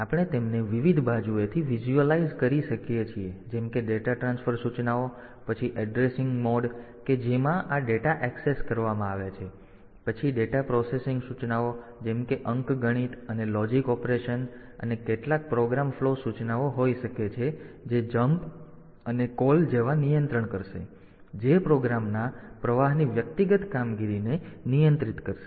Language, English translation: Gujarati, So, you can value we can visualize them in from different angles like the data transfer instructions, then the addressing modes in which this data are accessed, then the data processing instructions like arithmetic and logic operation and there can be some program flow instruction that will control like jump call this type of instruction which will control the operation of individual operation of the flow of the program